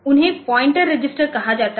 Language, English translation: Hindi, So, they are called the pointer register